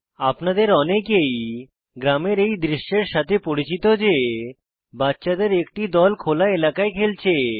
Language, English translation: Bengali, Many of you are familiar with this scene in your village a group of children playing in an open area